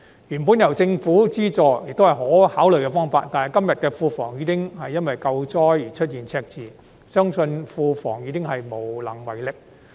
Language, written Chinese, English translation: Cantonese, 原本由政府資助，也是可考慮的方案，但如今庫房因"救災"而出現赤字，相信庫房也無能為力。, Originally it could be a viable option with government subsidy . Now that the public coffers are in the red owing to disaster relief I do not believe assistance can still be offered